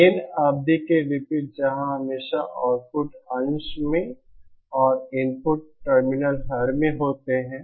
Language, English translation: Hindi, Unlike gain term where you always have output in the numerator and input terminal denominator